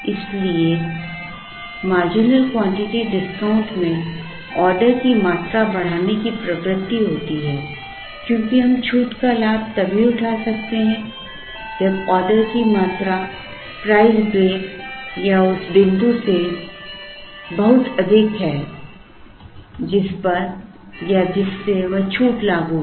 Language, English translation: Hindi, So, marginal quantity discount has a tendency to increase the order quantity because we can avail the benefit of the discount only when the order quantities are much higher than the price break or the point at which or from which that discount is applicable